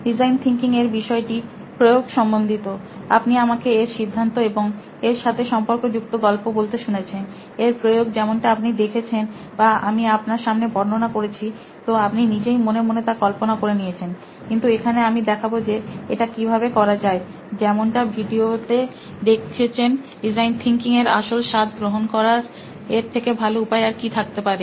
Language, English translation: Bengali, Design thinking is about application; you have heard me talk about theory, about stories on design thinking, it’s application as you have seen it or I have described to you and you visualized it in your head; but here I would like to demonstrate how it can be done, what better way to actually get the flavour of design thinking like seeing it in video here